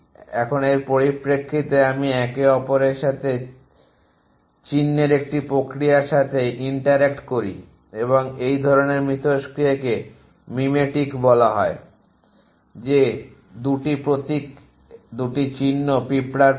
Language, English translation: Bengali, Now, in terms of that am interact with each other to a process of symbol essentially and this kind of interaction called mimetic is that 2 symbols 2 signs ant symbol essentially